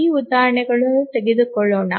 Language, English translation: Kannada, Let's take this instance